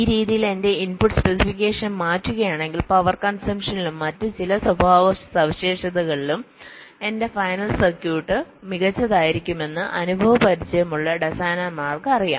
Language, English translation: Malayalam, so experience designers know that if i change my input specification in this way, my final circuit will be better in terms of power consumption and some other characteristics also